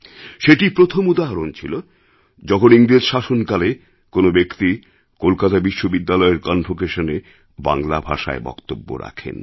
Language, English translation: Bengali, This was the first time under British rule that the convocation in Kolkata University had been addressed to in Bangla